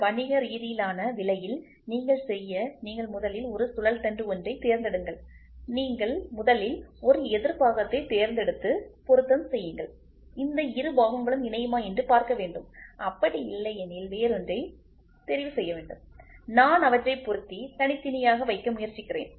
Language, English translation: Tamil, And in order to make this economical what you do is you first pick a shaft you first pick a counterpart do the assembly and try to see whether these two fellows are mating if not pick another one and I try to assemble them and keep it separate